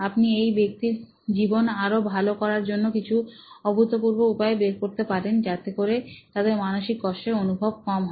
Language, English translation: Bengali, You can come up with interesting solutions for making this person’s life better, to reduce the whole trauma experience